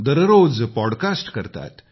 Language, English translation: Marathi, He also does a daily podcast